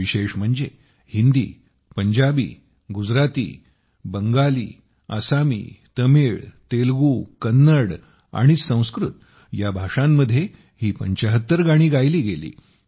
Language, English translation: Marathi, What is more special in this is that these 75 songs were sung in languages like Hindi, Punjabi, Gujarati, Bangla, Assamese, Tamil, Telugu, Kannada and Sanskrit